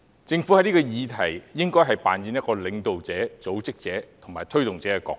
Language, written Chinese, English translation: Cantonese, 在這議題上，政府應扮演領導者、組織者及推動者的角色。, On this issue the Government should play the role of a leader organizer and initiator